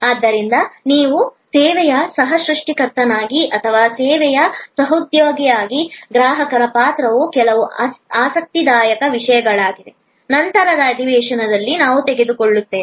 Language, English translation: Kannada, So, the role of the customer as you co creator of service and as a co marketer of the service will be some interesting topics that we will take up in the subsequence session